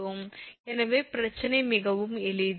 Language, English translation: Tamil, So, problem is very simple right